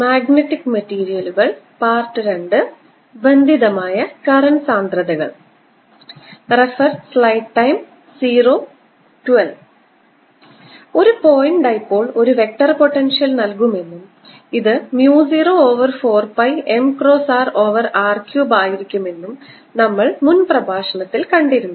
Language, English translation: Malayalam, we have seen in the previous lecture that a point dipole gives gives me a vector potential which is mu zero over four pi m, cross r over r cubed